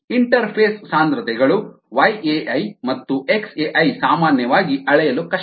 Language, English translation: Kannada, the interface concentrations y a i and x a i are usually difficult to measure